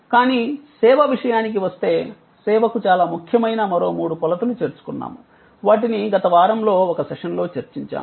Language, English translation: Telugu, But, when it comes to service, we have added three other dimensions which are very important for service, which we discussed in one of the sessions last week